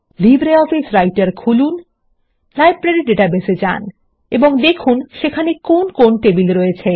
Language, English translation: Bengali, Open LibreOffice Writer, access the Library database and check the tables available there